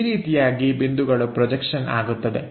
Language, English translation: Kannada, This is the way point projections happens